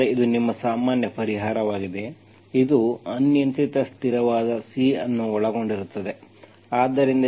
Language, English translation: Kannada, So this is your general solution, it involves an arbitrary constant C